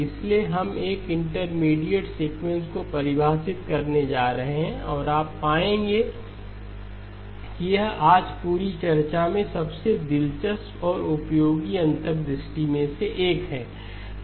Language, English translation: Hindi, So we are going to define an intermediate sequence, and you will find that this is probably one of the most interesting and useful insights in the whole discussion today